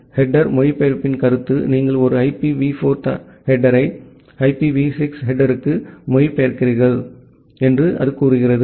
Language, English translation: Tamil, Then the concept of header translation, it says that you translate a IPv4 header to IPv6 header